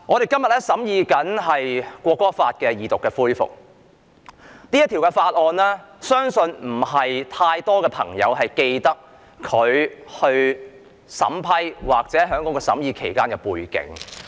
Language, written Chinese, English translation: Cantonese, 今天《國歌條例草案》恢復二讀，但相信不是太多朋友記得《條例草案》審議期間的背景。, The National Anthem Bill the Bill resumes its Second Reading today . However I believe that not too many people can recall the background concerning the scrutiny of the Bill